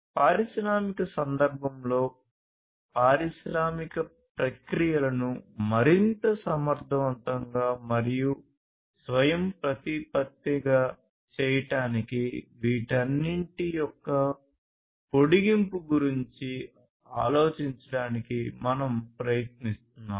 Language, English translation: Telugu, In the industrial context, we are trying to think about an extension of all of these to serve making industrial processes much more efficient and autonomous